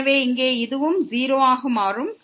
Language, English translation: Tamil, So, here this will also become 0